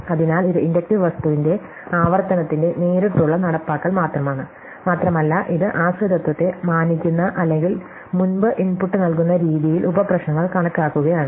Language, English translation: Malayalam, So, this is just a direct implementation of the recursive of the inductive thing and it is just enumerating the subproblems in a way which respects the dependency as we have seen before